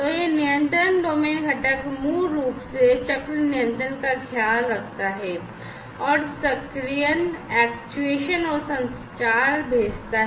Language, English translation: Hindi, So, this control domain component basically takes care of the cycle control sends actuation and communication